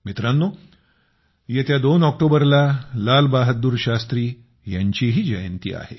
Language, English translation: Marathi, the 2nd of October also marks the birth anniversary of Lal Bahadur Shastri ji